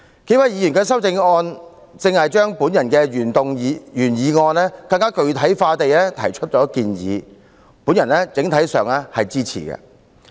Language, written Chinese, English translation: Cantonese, 數位提出修正案的議員都根據我的原議案提出更具體的建議，我整體上予以支持。, The several Members who proposed amendments have made more specific suggestions on basis of my original motion . I support them on the whole